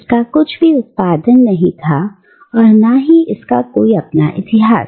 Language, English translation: Hindi, It did not produce anything, it did not have any history of its own